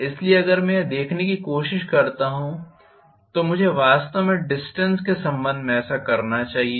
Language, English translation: Hindi, So, if I try to look at this I should do this actually with respect to the distance